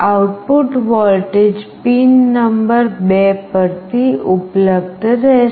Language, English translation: Gujarati, The output voltage will be available from pin number 2